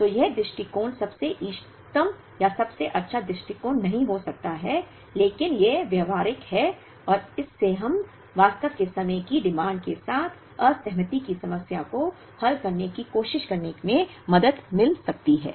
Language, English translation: Hindi, So, this approach may not be the most optimal or the best approach but this is practical and this can help us in actually trying to solve the disaggregation problem with time varying demand